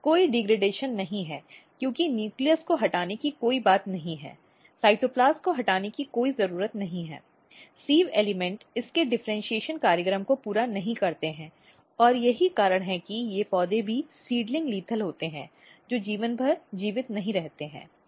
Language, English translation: Hindi, So, there is no degradation since there is no removal of nucleus there is no removal of cytoplast the sieve elements are not completed its differentiation program and that is why these plants are also seedling lethal they do not survive for life long and you can check here